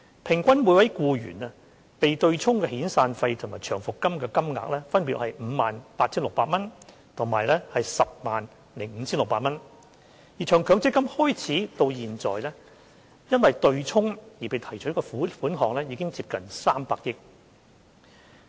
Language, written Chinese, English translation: Cantonese, 平均每名僱員被對沖的遣散費和長期服務金金額，分別為 58,600 元及 105,600 元；而從強積金計劃實施以來，因對沖而被提取的款額已接近300億元。, The amounts of severance and long service payments so offset amounted to 58,600 and 105,600 respectively for each employee . Since the introduction of MPF schemes nearly 30 billion has been withdrawn owing to offsetting